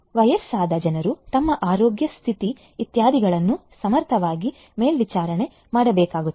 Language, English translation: Kannada, Elderly people monitoring their health condition etcetera efficiently will have to be done